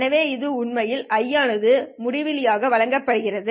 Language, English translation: Tamil, So this is actually given by ITH to infinity